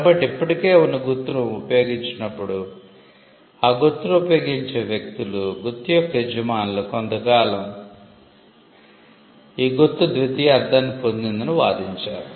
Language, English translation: Telugu, So, when an existing mark is used, the people who use the mark, the owners of the mark would argue that the mark has acquired a secondary meaning over a period of time